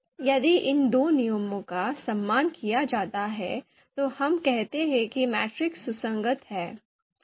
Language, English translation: Hindi, If these two rules are respected, then we call that the matrix is consistent